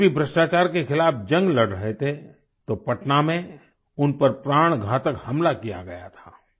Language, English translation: Hindi, When JP was fighting the crusade against corruption, a potentially fatal attack was carried out on him in Patna